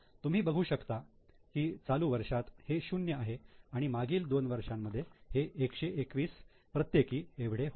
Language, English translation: Marathi, You can see in the current year it is zero, last two years it is 121 121